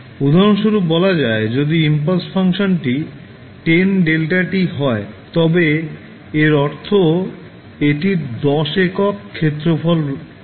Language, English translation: Bengali, Say for example if the impulse function is 10 delta t means it has an area equal to 10